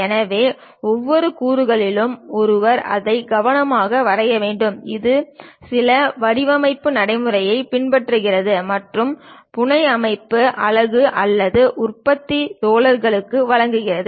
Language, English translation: Tamil, So, each and every component, one has to draw it carefully which follows certain design practices and to be supplied to the fabrication unit or manufacturing guys